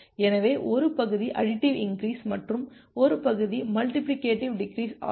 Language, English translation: Tamil, So, this part is the additive increase and this part is a multiplicative decrease